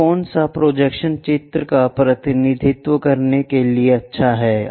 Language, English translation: Hindi, So, which projection is good to represent a picture